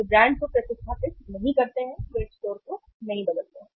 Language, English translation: Hindi, They neither replace the brand, they do not substitute the brand, they do not change the store